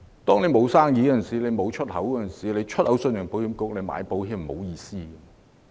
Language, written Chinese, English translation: Cantonese, 當沒有生意和出口，向信保局買保險並沒有意思。, If you do not have any export business what is the point of taking out export insurance?